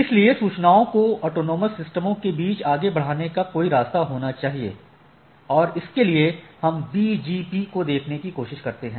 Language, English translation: Hindi, So, there should be some way of forwarding across autonomous systems where we try to look at this BGP